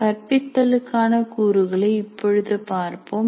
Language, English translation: Tamil, Now let us look at components of teaching